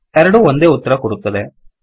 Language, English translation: Kannada, It has give the same answer